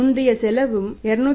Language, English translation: Tamil, Earlier cost also was 231